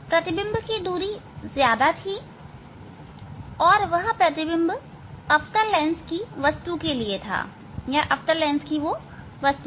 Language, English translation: Hindi, image distance was far away, and that image was the object for the concave lens